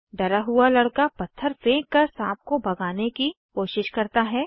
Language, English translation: Hindi, The scared boy tries to shoo away the snake by throwing a stone